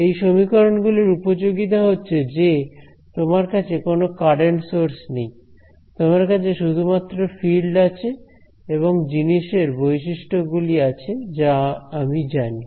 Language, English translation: Bengali, The beauty of these two equations is that you only have, you do not have any current sources, you just have the fields and the material properties which I know